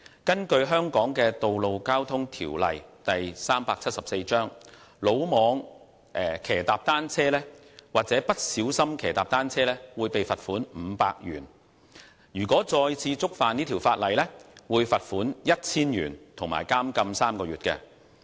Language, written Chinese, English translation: Cantonese, 根據香港的《道路交通條例》，魯莽騎踏單車或不小心騎踏單車會被罰款500元，再次觸犯會被罰款 1,000 元及監禁3個月。, 347 reckless or careless cycling is liable to a fine of 500; repeated conviction is liable to a fine of 1,000 and to imprisonment for three months